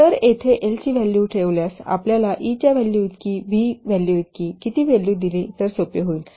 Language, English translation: Marathi, So putting the value of L here we get E is equal to how much putting the value of L is equal to v star by V